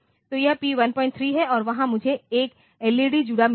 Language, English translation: Hindi, 3 and there I have got 1 LED connected